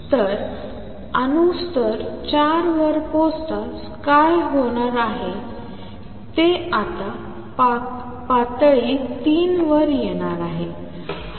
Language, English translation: Marathi, So, what is going to happen as soon as the atoms reach level 4, they going to come now the level 3